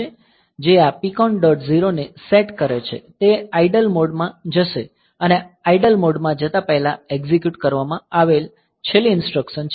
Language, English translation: Gujarati, sets this PCON dot 0 it will go into idle mode and last instruction executed before going in to idle mode